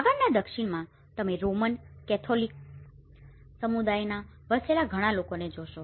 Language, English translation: Gujarati, In further South, you see more of the Roman Catholic communities live there